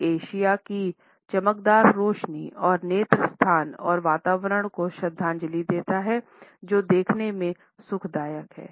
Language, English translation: Hindi, It pays homage to the bright lights of Asia and at the same time portrays eye space and atmosphere which is soothing to look at